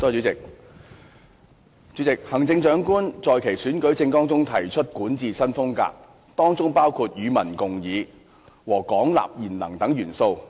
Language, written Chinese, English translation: Cantonese, 主席，行政長官在其選舉政綱中提出管治新風格，當中包括"與民共議"和"廣納賢能"等元素。, President the Chief Executive CE pledged in her election manifesto a new style of governance which embraced such elements as public discussion and attracting talent widely